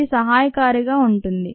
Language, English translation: Telugu, it will be helpful